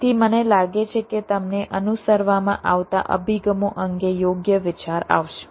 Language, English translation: Gujarati, so i think, ah, you will have a fair idea regarding the approaches that are followed